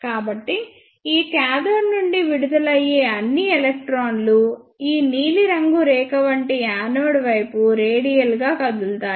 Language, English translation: Telugu, So, all the electrons emitted from this cathode will move radially towards the anode like this blue line